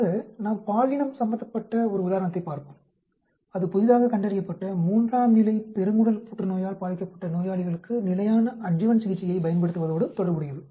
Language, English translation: Tamil, So, let us look at an example, is gender associated with use of standard adjuvant therapy for patients with newly diagnosed stage three colon cancer